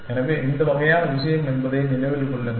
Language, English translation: Tamil, So, remember that this kind of this thing